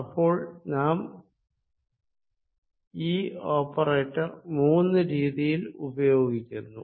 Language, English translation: Malayalam, so this, this operator, we use in three forms